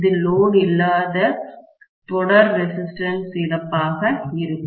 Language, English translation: Tamil, This will be the no load condition series resistance loss, right